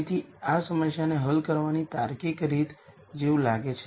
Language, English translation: Gujarati, So, that seems like a logical way to solve this problem